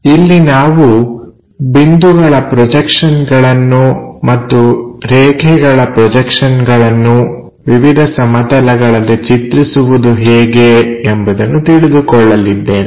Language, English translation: Kannada, There we are covering how to draw point projections and line projections onto different planes